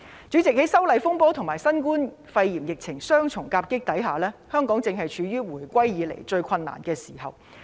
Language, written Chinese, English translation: Cantonese, 主席，在修例風波和新冠肺炎疫情雙重夾擊之下，香港正處於回歸以來最困難的時候。, Chairman being hit by the double whammy of the disturbances arising from the opposition to the proposed legislative amendments and the COVID - 19 epidemic we are now facing the most difficult times since the reunification